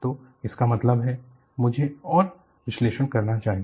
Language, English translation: Hindi, So, that means, I should do more analysis